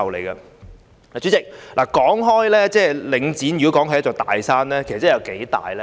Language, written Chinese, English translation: Cantonese, 代理主席，如果說領展是"一座大山"，那究竟有多大呢？, Deputy President if Link REIT is regarded as a big mountain how big is it?